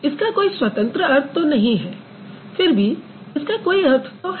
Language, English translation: Hindi, It may not have independent meaning, but it does have some meaning